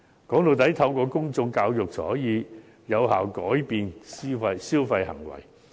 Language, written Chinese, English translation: Cantonese, 歸根究底，透過公眾教育才可以有效改變消費行為。, After all only through public education can consumer behaviour be changed effectively